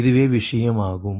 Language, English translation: Tamil, this is the thing